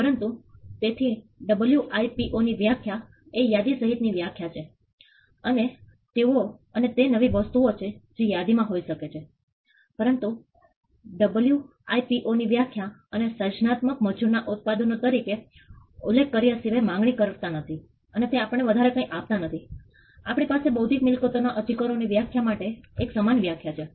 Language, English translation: Gujarati, But so the WIPOs definition is the definition which is an inclusive list and they could be new things that come into the list, but there WIPO definition does not offer apart from referring to it as products of creative labour it does not give us anything more for us to have a uniform definition for defining intellectual property rights